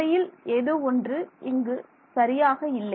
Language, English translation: Tamil, Actually something is not right